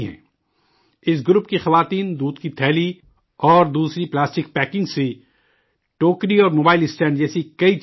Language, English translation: Urdu, The women of this group make many things like baskets and mobile stands from milk pouches and other plastic packing materials